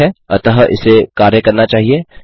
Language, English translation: Hindi, Okay, so this should work